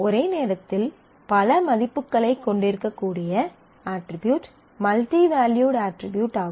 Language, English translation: Tamil, Multivalued attribute is one where one attribute may have multiple values at the same time